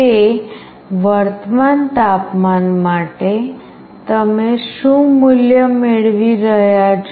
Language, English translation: Gujarati, For that current temperature, what value you are getting